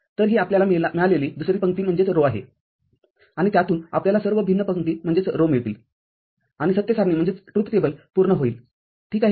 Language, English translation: Marathi, So, this is the second row that we get, and from that we get all the different rows and complete the truth table, ok